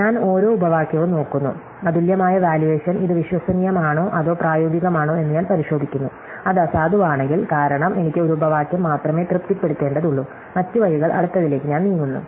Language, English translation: Malayalam, So, I look at each clause, I check whether the unique valuations is this on plausible or feasible, if it is at null, because I only need to satisfy one clause, other ways I move to the next one